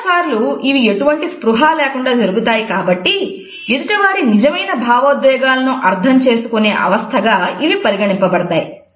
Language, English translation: Telugu, Most of the time they are made without any consciousness and therefore, they are considered to be the case to understanding true emotions of others